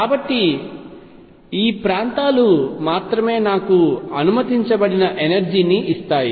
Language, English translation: Telugu, So, only these regions give me energy that is allowed